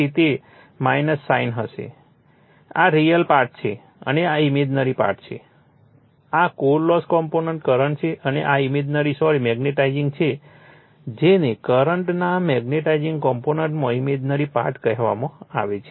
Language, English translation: Gujarati, So, it will be minus sign right this is your real part and this is your imaginary part this is core loss component current and this is your imaginary sorry magnetizing your called the imaginary part in the magnetizing component of the current